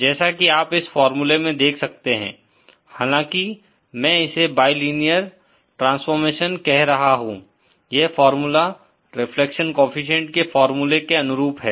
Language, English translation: Hindi, As you can see this formula, even though I am saying it is a bilinear star formation, this formula is analogous to the formula for the reflection coefficient